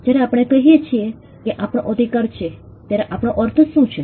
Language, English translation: Gujarati, What do we mean when we say we have a right